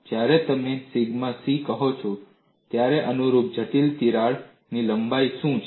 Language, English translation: Gujarati, When you say sigma c, what is the corresponding critical crack length